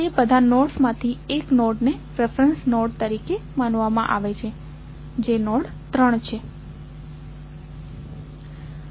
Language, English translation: Gujarati, Out of all those nodes one node is considered as a reference node that is node 3